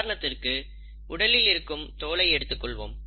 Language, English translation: Tamil, For example our skin